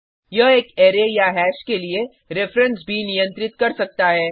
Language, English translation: Hindi, It can also hold the reference to an array or reference to a hash